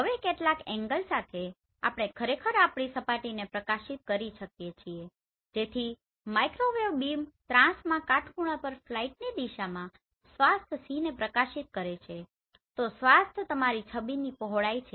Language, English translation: Gujarati, Now with some angle we actually illuminate our surface so the microwave beam is transmitted obliquely at right angle to the direction of the flight illuminating a swath C